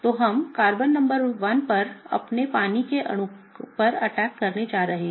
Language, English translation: Hindi, So, what we are going to do is, we are going to attack our water molecule on Carbon number 1